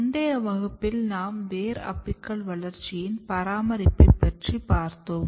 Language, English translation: Tamil, So, in last class we started studying Root Developments